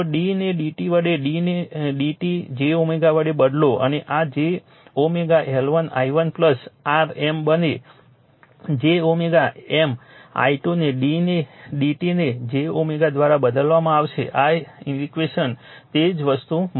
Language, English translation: Gujarati, If you replace d by d t this d by d t j omega and you will find this will become j omega L 1 i1 plus your M, j omega M i 2 right you replace d by d t by j omega in this equation you will get the same thing right